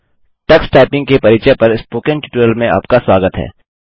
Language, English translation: Hindi, Welcome to the Spoken Tutorial on Introduction to Tux Typing